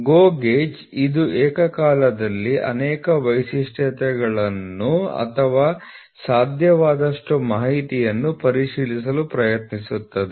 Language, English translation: Kannada, GO gauge it will try to check simultaneously as many features or as many information as possible, here it will check only one at a time